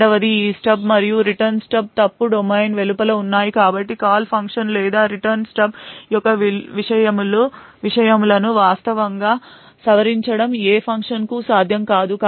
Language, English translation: Telugu, Second this stub and Return Stub are present outside the fault domain so therefore it would not be possible for any function to actually modify the contents of the Call Stub or the Return Stub